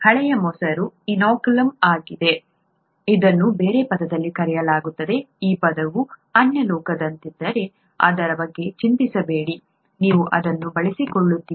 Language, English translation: Kannada, Old curd is the inoculum, as it is called in other term; don’t worry about it if this term seems alien, you will get used to it